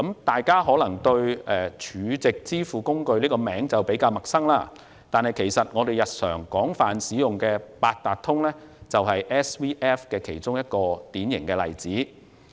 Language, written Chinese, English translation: Cantonese, 大家對 SVF 這個名稱可能比較陌生，但我們日常廣泛使用的八達通就是 SVF 的一個典型例子。, Honourable colleagues may be unfamiliar with the name SVF; the Octopus card that we use extensively is a typical example of SVF